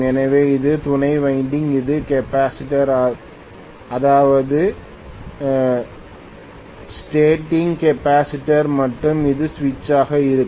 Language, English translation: Tamil, So this is the auxiliary winding, this is the capacitor which is the starting capacitor and this is going to be the switch